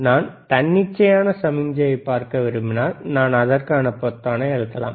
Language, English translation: Tamil, If I want to see arbitrary signal, I can press arbitrary button